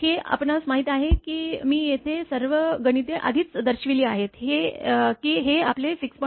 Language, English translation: Marathi, This you please do know if I already all calculations are shown here this is your 6